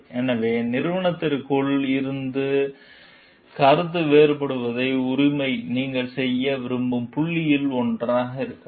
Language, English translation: Tamil, So, the right to dissent from within the organization like may be one of the points that you would wish to make